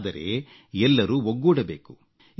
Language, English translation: Kannada, But we must all come together